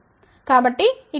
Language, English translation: Telugu, Now, if it is 0